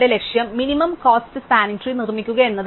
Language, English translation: Malayalam, So, our target right now is to build a minimum cost spanning tree